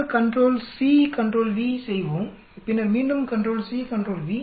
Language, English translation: Tamil, We will do this control c control v then again go control c control v